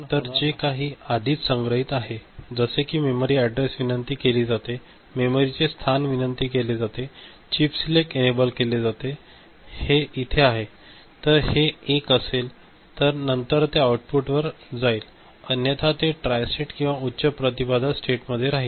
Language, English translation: Marathi, So, whatever is already stored, the memory address is you know, is invoked, the location is invoked, chip select is enabled then whatever is there so, this will be 1 and then it will go to the output, otherwise it will be remaining tristated high impedance state